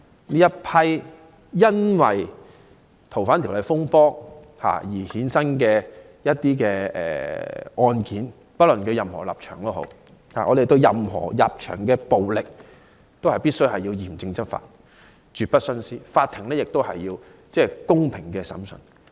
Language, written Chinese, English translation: Cantonese, 這一批因修例風波而衍生的案件，不論被捕者持任何立場，我們對任何人士的暴力行為，均須嚴正執法、絕不徇私，法庭必須進行公平的審訊。, In handling cases resulting from disturbances arising from the opposition to the proposed legislative amendments the laws should be strictly and impartially enforced to deal with the violent acts committed by arrestees regardless of their stances and the courts must conduct fair trials